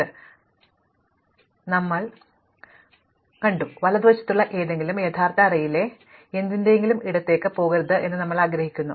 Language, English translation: Malayalam, Well, merge sort would normally we stable providedÉ all we want is that something to the right should not go to the left of something in the original array